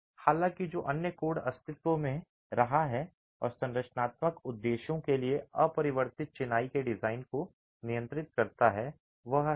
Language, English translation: Hindi, However, the other code that has been in existence and regulates the design of unreinforced masonry for structural purposes is 1905